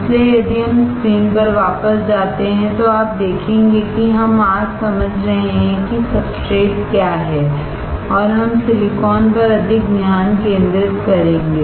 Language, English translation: Hindi, So, if we go back to the screen you will see, that we are understanding today what the substrates and we are will focus more on silicon